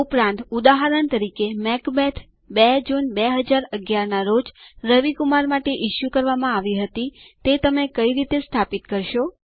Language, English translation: Gujarati, Also, for example,How will you establish that Macbeth was issued to Ravi Kumar on 2nd June 2011